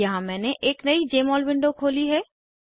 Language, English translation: Hindi, Here I have opened a new Jmol window